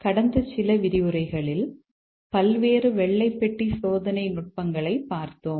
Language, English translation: Tamil, Over the last few lectures, we have looked at various white box testing techniques